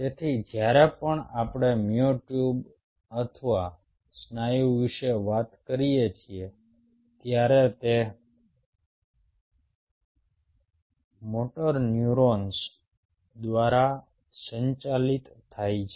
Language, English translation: Gujarati, so whenever we talk about ah, myotube or a muscle, they are governed by motor neurons